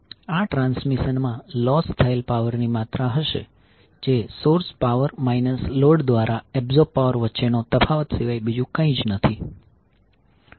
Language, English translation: Gujarati, So this will be the amount of power lost in the transmission which will be nothing but the difference between the source power minus the power absorbed by the load